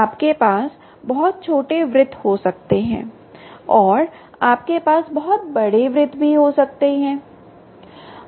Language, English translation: Hindi, right, you can have very small circles and you can have very large circles